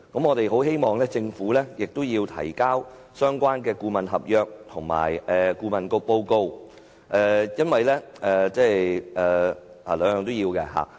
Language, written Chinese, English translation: Cantonese, 我們希望政府提交相關顧問合約及顧問報告，讓我們多作了解。, We hope that the Government will provide the consultancy contract and the consultancy report to enable us to have a better understanding of the matter